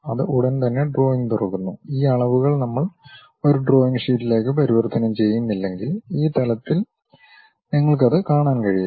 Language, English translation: Malayalam, It straight away opens the drawing and these dimensions you may not see it at this level, unless we convert this entire thing into a drawing sheet